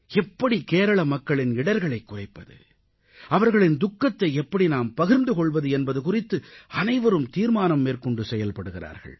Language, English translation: Tamil, Everyone is trying to ensure speedy mitigation of the sufferings people in Kerala are going through, in fact sharing their pain